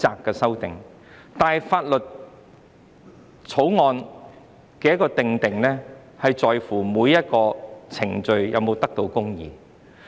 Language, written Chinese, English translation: Cantonese, 但是，法案的制定關乎每一個程序是否公義。, However the formulation of a bill involves procedural justice